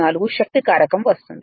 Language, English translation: Telugu, 254 the power factor